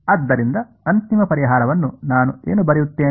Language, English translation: Kannada, So, what will I write the final solution